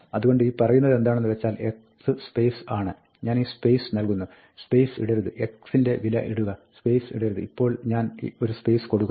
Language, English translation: Malayalam, So, what this will say is that, x is space, I give this space; do not put the space, put the value of x; do not put a space, now, I give a space